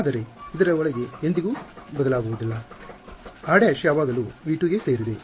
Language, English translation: Kannada, But inside this never changes, r prime is always belonging to v 2